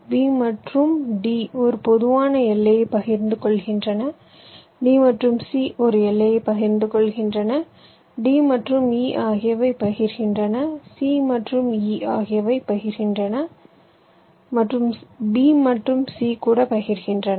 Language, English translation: Tamil, b and d is sharing a common boundary, d and c is sharing a boundary, d and e is also sharing, and c and e is also sharing